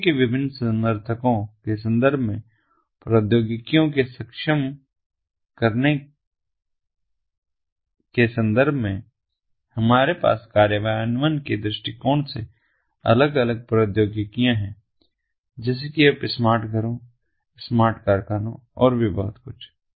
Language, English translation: Hindi, in terms of, in terms of enabling technologies, we have, from implementations perspective, different technologies such as, you know, smart homes, smart factories, and so on